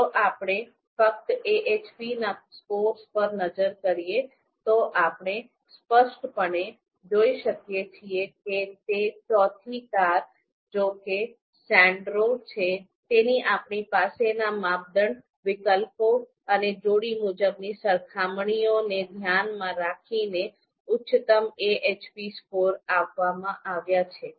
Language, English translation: Gujarati, So we just look at the AHP scores, you know we can clearly see that it is the fourth car you know Sandero which has been given the highest AHP scores given the criteria and given the you know alternatives that we have and the pairwise comparisons that were provided